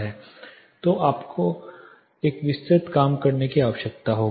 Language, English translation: Hindi, So, you will need a detailed working